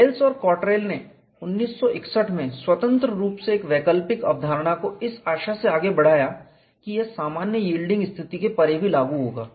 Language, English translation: Hindi, Wells and Cottrell independently in 1961 advanced an alternative concept in the hope that it would apply even beyond general yielding condition